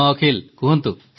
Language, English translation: Odia, Yes Akhil, tell me